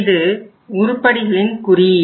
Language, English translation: Tamil, This is the item number